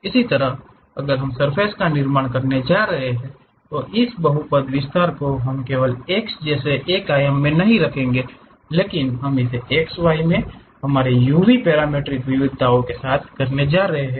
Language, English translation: Hindi, Similarly, if we are going to construct surfaces this polynomial expansion we will not only just does in one dimension like x, but we might be going to do it in x, y directions our u, v parametric variations